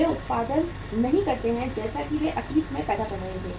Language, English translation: Hindi, They do not produce as they were producing in the past